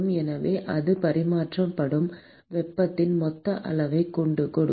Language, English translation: Tamil, So, that will give you the total amount of heat that is transferred